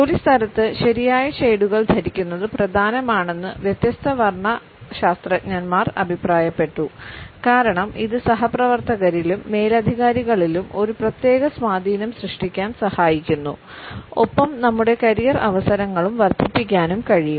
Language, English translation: Malayalam, Different color psychologists have commented that wearing the right shades at workplace is important because it helps us in creating a particular impact on our colleagues as well as on our bosses and can enhance our career choices